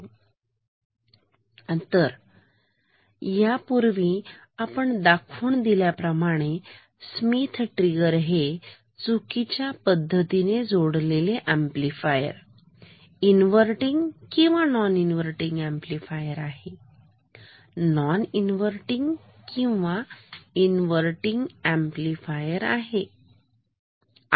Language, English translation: Marathi, So, if you recall once we have mentioned that Schmitt triggers are wrongly connected amplifiers inverting or non inverting amplifiers, non inverting or inverting amplifiers